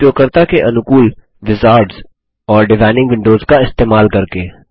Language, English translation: Hindi, by using the very user friendly wizards and designing windows